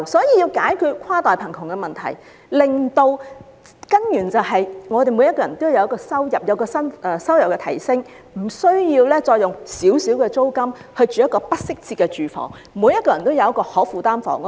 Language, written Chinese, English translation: Cantonese, 要解決跨代貧窮的問題，根本辦法是讓所有人的收入均有所提升，無需再用丁點租金租住不適切的住房，令所有人均有可負擔的房屋。, The fundamental solution to intergenerational poverty is a pay rise for everyone . People can then be free from having a tight budget for inadequate housing only and will be able to have their choice of affordable housing